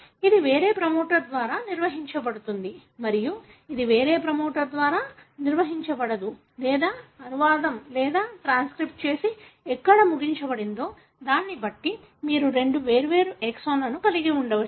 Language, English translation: Telugu, This may be operated by a different promoter and this may be operated by a different promoter or you could have two different last exons depending on where the translation or transcription is terminated